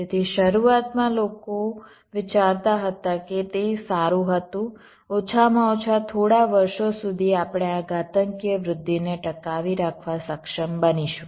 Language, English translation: Gujarati, so initially people thought that well it was, find, at least for a few years, would be able to sustain this exponential growth